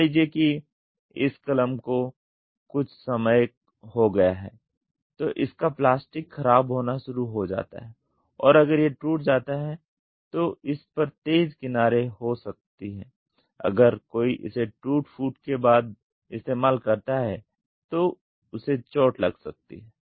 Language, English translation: Hindi, Suppose this pen over a period of time if it starts getting the plastic starts degrading and if it breaks it might have sharp edges this will try to hurt if somebody uses it after the wear and tear